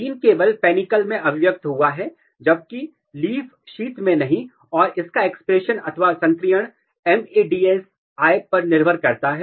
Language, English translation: Hindi, The gene is only expressed in the panicle, not in the leaf sheath and it is expression or it is activation is dependent on the MADS1